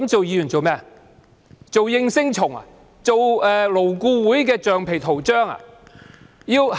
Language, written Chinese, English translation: Cantonese, 是為了做應聲蟲或勞顧會的橡皮圖章嗎？, Are we supposed to be yes - men or the rubber stamp of LAB?